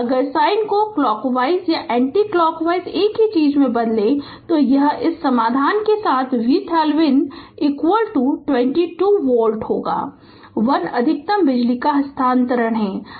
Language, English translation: Hindi, If you change the sign clockwise and anticlockwise same thing right; so with this you solve V Thevenin is equal to 22 volt therefore, 1 maximum power transfer R L is equal to R thevenin